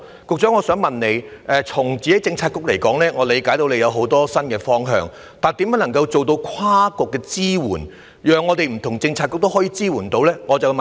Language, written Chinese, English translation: Cantonese, 據我理解，局長的政策局有很多新方向，問題是如何能夠做到跨局支援，讓不同的政策局可以提供支援。, To my understanding the Policy Bureau headed by the Secretary has explored many new directions but the question is how cross - bureaux support can be fostered so that various Policy Bureaux can provide support